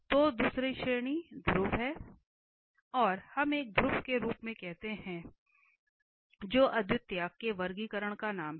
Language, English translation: Hindi, So, the second category is the pole, we call as a pole that is the name of the singularity the classification of the singularity